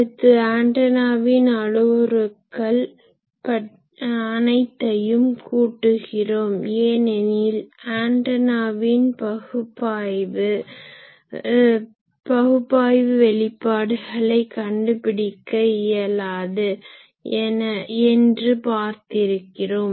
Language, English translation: Tamil, Next, we will see the sum of the antenna parameters because always we said that we would not be able to find out the analytical expressions of the antenna